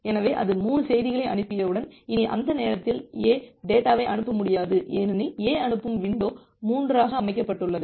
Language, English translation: Tamil, So, once it is it has sent 3 message, during that time, A cannot send anymore data because A’s sending window was set to 3